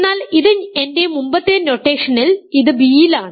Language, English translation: Malayalam, So, but, so, this is a in my earlier notation this is in b